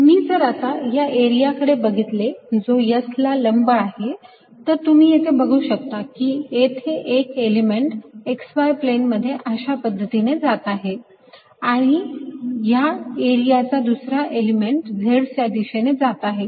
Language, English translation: Marathi, if i am looking at area perpendicular to s, you can see one element is going to be in the x y plane, like this, and the second element of this area is going to be in the z direction